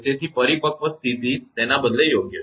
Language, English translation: Gujarati, So, mature state rather right